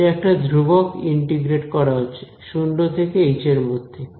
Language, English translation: Bengali, It is a constant right integrating from 0 to h